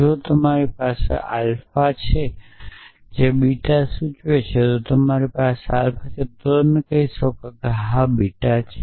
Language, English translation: Gujarati, So, if you have alpha implies beta then if you have alpha then you can say yes beta is there